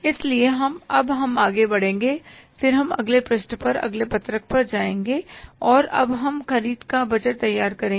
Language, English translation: Hindi, So, now we will move forward and then we will go to the next page, next sheet and now we will prepare the purchase budget